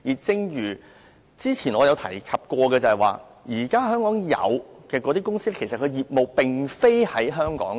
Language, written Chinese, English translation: Cantonese, 正如我之前所說，香港現有公司的業務並非在香港。, As I have said earlier existing companies in Hong Kong do not conduct business in the city